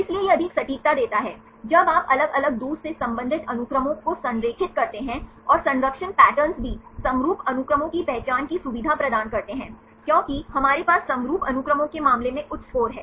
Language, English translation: Hindi, So, it gives greater accuracy, when you align the different distantly related sequences and the conservation patters also facilitate the identification of the homologous sequences because we have the high score in the case of the homologous sequences